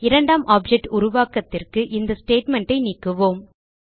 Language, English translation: Tamil, We can remove the statement for creating the second object